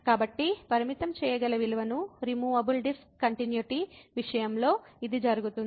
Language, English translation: Telugu, So, this is the example of the removable discontinuity